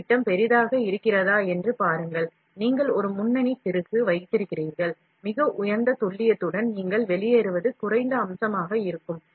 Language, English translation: Tamil, See if the nozzle diameter is large, you put a lead screw, of a very high precision, what you get out will be a low feature